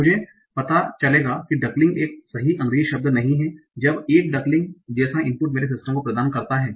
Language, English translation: Hindi, So how do I know that duckle is not a correct English word when an input like duckling is provided to my system